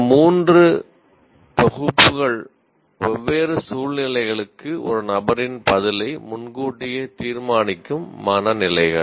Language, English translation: Tamil, These three sets are dispositions that predetermine a person's response to different situations